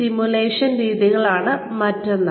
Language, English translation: Malayalam, So, there is simulation